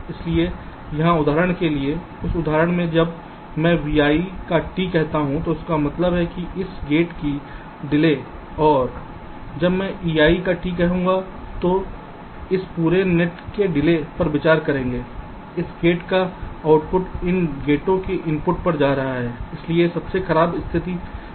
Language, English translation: Hindi, so here, for example, in this example, when i say t of v i, it means the delay of this gate, and when i say t of e i, it will consider the delay of this whole net, the output of this gate going to the inputs of these gates